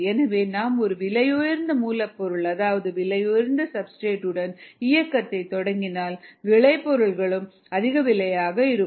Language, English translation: Tamil, so if you start with an expensive raw material, expensive substrate, the product is going to turn out to be more expensive